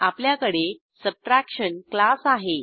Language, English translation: Marathi, Then we have class Subtraction